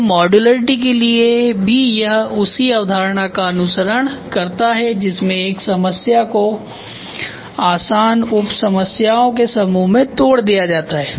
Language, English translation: Hindi, So, for modularity it is also follows the same concept it is broken down into a set of easy to manage simpler sub problems